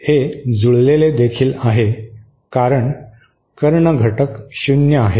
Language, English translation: Marathi, It is also matched because the diagonal elements are 0